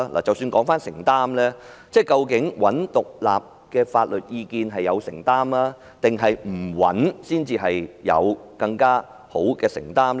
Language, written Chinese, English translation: Cantonese, 即使談到承擔，究竟尋求獨立的法律意見是有承擔，還是不尋求才是更有承擔呢？, Even if she talks about responsibility is it a responsible decision to seek independent legal advice or otherwise?